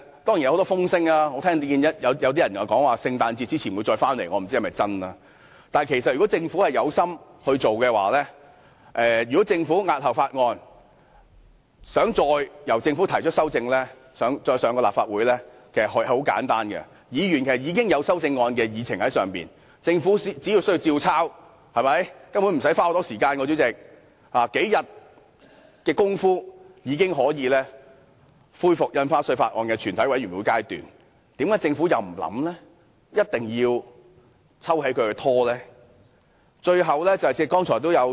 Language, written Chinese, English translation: Cantonese, 當然有很多風聲，我聽到有些人說政府在聖誕節前會再向立法會提交《條例草案》，我不知道是否真確，但如果政府在押後處理《條例草案》後，想再向立法會提交修正案，手續可以很簡單，議員既然已經提出修正案，並將之列入議程，政府只須依樣葫蘆，根本無須花很長時間便可迅速恢復《條例草案》的全體委員會審議階段，政府為甚麼不考慮，而一定要撤回《條例草案》而造成拖延呢？, Some say the Government will submit the Bill to the Council again before Christmas . I wonder if it is true but if the Government wants to put forward amendments of the Bill to the Legislative Council again after postponing the scrutiny of the Bill the procedures involved are quite simple . Since Members proposed amendments have been listed in the agenda the Government only needs to incorporate these amendments and the Committee stage of the Bill can be resumed in no time